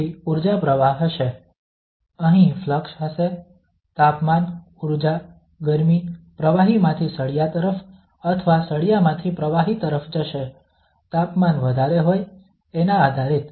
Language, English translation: Gujarati, Then there will be energy flow, there will be a flux here, either the temperature, the energy, the heat will go from the fluid to the bar or from bar to the fluid depending on whose temperature is high